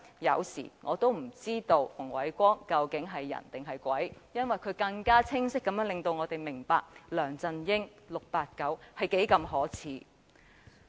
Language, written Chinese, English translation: Cantonese, 有時我也不知道馮煒光究竟是人還是鬼，因為他令我們更加清晰地看到 "689" 是多麼的可耻。, Sometimes I do not even know whether I should treat Andrew FUNG as an ally or a foe for that matter because he has enabled us to see so very clearly how shameless 689 is